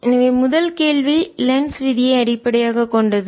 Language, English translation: Tamil, so this first question is based on lenz's law